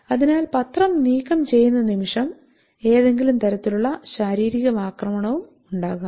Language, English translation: Malayalam, So the moment the newspaper is removed there may be any kind of physical aggression also